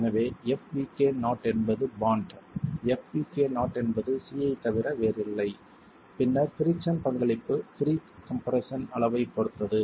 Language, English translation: Tamil, So, FECK not is bond, FECN is nothing but C and then the contribution from the friction depends on the level of pre compression